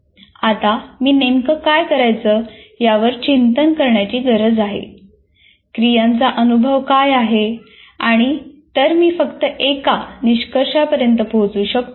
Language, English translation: Marathi, Now, I have to reflect what exactly is to be done, what are the sequence of steps, and then only come to conclusion